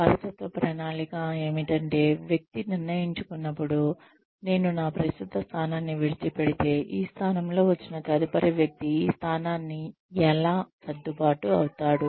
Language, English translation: Telugu, Succession planning is, when we decide, how the person, if I were to leave my current position, how would the next person, who comes and takes up this position, get adjusted to this position